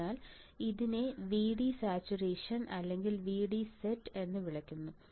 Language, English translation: Malayalam, So, it is also called VD saturation right write voltage is also called VD saturation or VD set